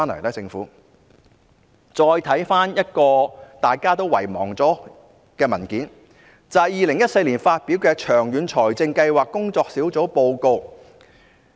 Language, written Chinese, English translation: Cantonese, 大家再看看一份已經被人遺忘的文件，就是2014年發表的長遠財政計劃工作小組報告。, Let us look at a document that has already been forgotten ie . a report published by the Working Group on Long - Term Fiscal Planning in 2014